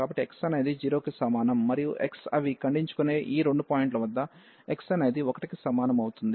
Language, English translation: Telugu, So, x is equal to 0, and x is equal to 1 at these two points they intersect